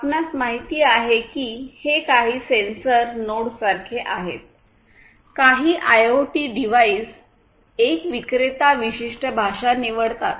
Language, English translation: Marathi, You know it is somewhat like some sensor nodes, some IoT devices pick one specific vendor specific language